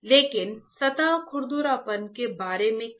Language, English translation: Hindi, So, but what about surface roughness